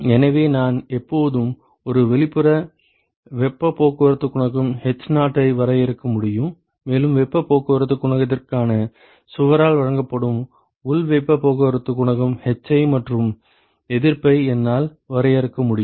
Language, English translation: Tamil, So, I can always define a an outside heat transport coefficient h0 and I can define an inside heat transport coefficient hi and a resistance that is offered by wall for heat transport coefficient